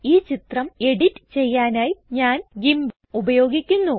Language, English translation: Malayalam, I am using the picture editor GIMP to edit this picture